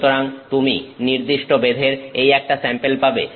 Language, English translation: Bengali, So, you get this sample of a certain thickness